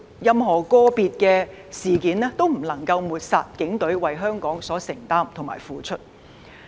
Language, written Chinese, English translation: Cantonese, 任何個別事件也不能抹煞警隊為香港所作的付出。, No individual incident can denigrate the Polices contribution to Hong Kong